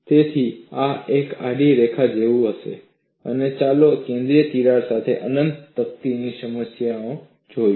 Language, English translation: Gujarati, So, this will be like a horizontal line and let us look at the problem of infinite plate with a central crack